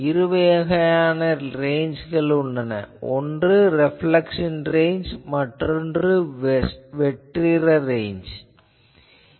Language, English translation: Tamil, Now, in general there are two types of ranges one is reflection ranges, another is the free space ranges